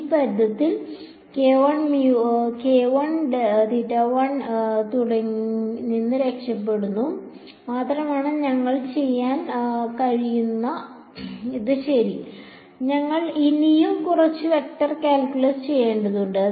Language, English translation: Malayalam, All we manage to do is get rid of this k squared phi term ok, we still need to do a little bit more vector calculus